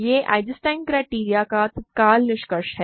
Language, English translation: Hindi, That is immediate conclusion of Eisenstein criterion